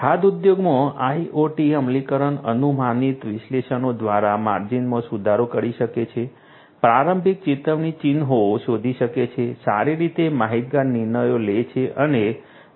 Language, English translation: Gujarati, IoT implementation in the food industry can improve the margins through predictive analytics, spotting early warning signs, making well informed decisions and maximizing profits